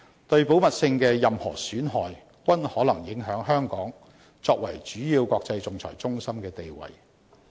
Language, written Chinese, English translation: Cantonese, 對保密性的任何損害，均可能影響香港作為主要國際仲裁中心的地位。, Any erosion of confidentiality may prejudice Hong Kongs position as a leading international arbitration centre